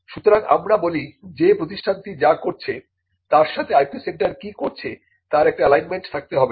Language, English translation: Bengali, So, this is what we say that there has to be an alignment of what the IP centre is doing with what the institute is doing